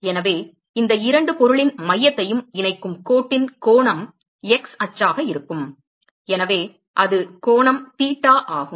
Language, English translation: Tamil, So that is the angle of the of the line that joints the center of these two object would be x axis so that is angle theta